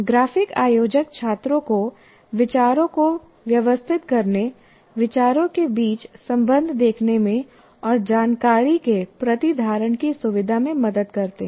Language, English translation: Hindi, And graphic organizers help students organize ideas, see relationships between ideas, and facilitate retention of information